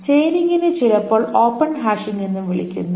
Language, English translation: Malayalam, Chaining is also sometimes called open hashing